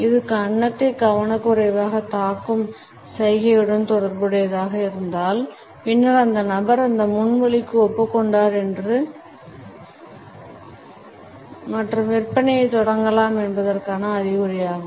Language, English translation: Tamil, If this is also associated with a gesture of absentmindedly stroking the chin; then it is an indication that the person has agreed to the proposal and the sales can be pitched in